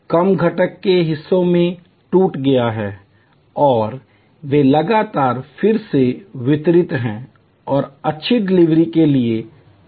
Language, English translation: Hindi, The work is broken up into constituent’s parts and they are continually then reassembled and fine tuned for good delivery